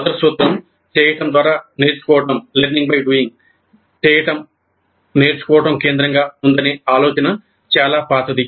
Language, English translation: Telugu, The first principle, learning by doing, the idea that doing is central to learning, it's fairly old